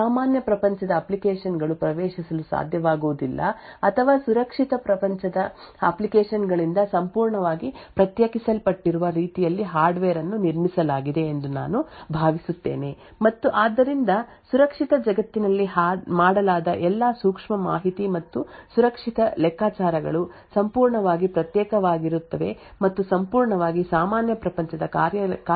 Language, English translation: Kannada, I think hardware is built in such a way that the normal world applications will not be able to access or is totally isolated from the secure world applications and therefore all the sensitive information and secure computations which is done in the secure world is completely isolated and completely independent of the normal world operations